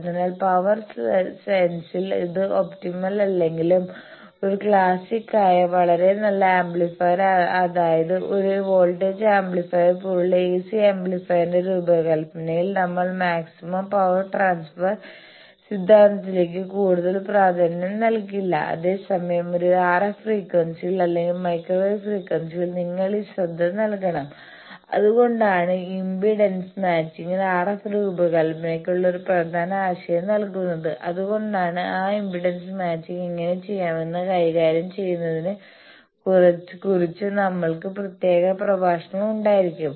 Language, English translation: Malayalam, So, even if it is not optimum in the power sense, the design of AC amplifier which is a classic, very good amplifier voltage amplifier sort of thing here we do not pay heat to the maximum power transfer theorem, whereas, in an RF frequency or microwave frequency you are bound to pay this attention that is why impedance matching is an important concept for RF design and we will have special lectures for tackling how to do those impedance matching